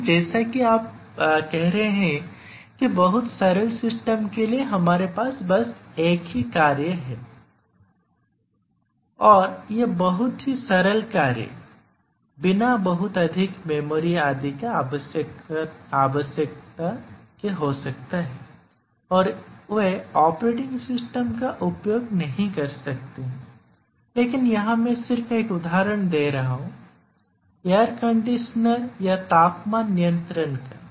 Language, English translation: Hindi, But as you are saying that very very simple systems we just have a task single task and very simple task without needing much memory etcetera, they might not use a operating system I just giving an example of a air conditioner or temperature controller